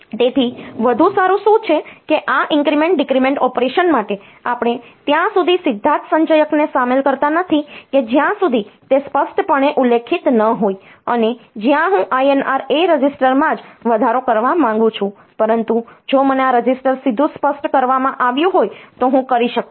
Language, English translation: Gujarati, So, what is better is that for this increment decrement operation we do not involve the accumulator directly until and unless it is explicitly specified that INR A where I want to increment the a register itself, but I can if I have got this register specified directly like INR B INR C dcr D, like that then this should be done directly without affecting the accumulator